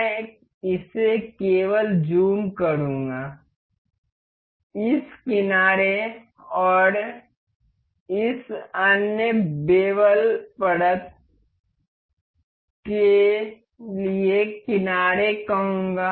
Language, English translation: Hindi, I will just zoom it up, say this edge and the edge for this other bevel layer